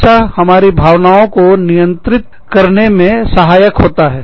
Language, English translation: Hindi, That, it always helps to keep, our emotions, in check